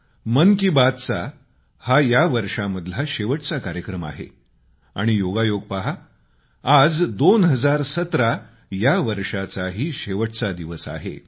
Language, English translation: Marathi, This is the last edition of 'Mann Ki Baat' this year and it's a coincidence that this day happens to be the last day of the year of 2017